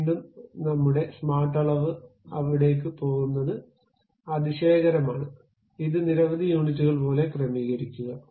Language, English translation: Malayalam, Again our smart dimension is wonderful to go there, adjust that to something like these many units